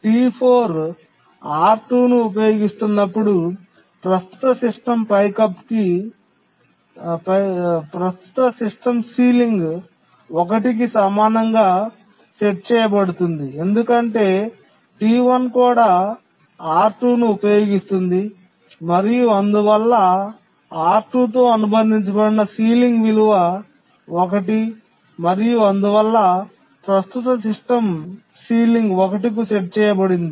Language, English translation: Telugu, When T4 is using R2, the current system ceiling will be set equal to 1 because T1 also uses R2 and therefore the sealing value associated with R2 is 1 and the current system sealing will be set to 1